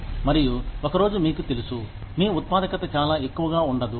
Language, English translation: Telugu, And, one day, you know, your productivity will not be very high